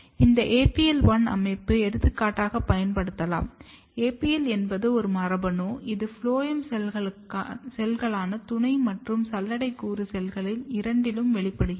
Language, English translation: Tamil, And when this system was used for example, if you look here APL1, APL is a gene, which express in the phloem cells both companion and sieve element cells